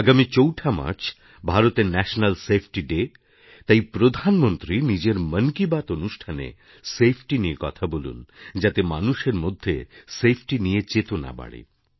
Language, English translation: Bengali, Since the 4th of March is National Safety Day, the Prime Minister should include safety in the Mann Ki Baat programme in order to raise awareness on safety